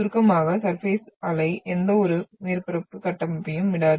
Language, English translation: Tamil, So in short, surface wave will not leave any structure on the surface